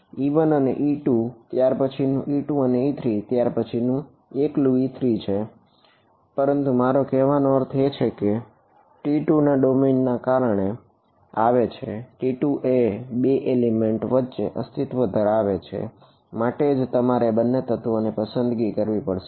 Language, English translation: Gujarati, e 1 and e 2, the next is e 2 and e 3 and the next is e 3 alone, but I mean that came because of the domain of T 2; T 2 existed over 2 elements that is why I had to choose between those two elements